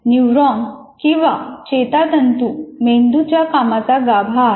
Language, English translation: Marathi, Neurons are functioning core of the brain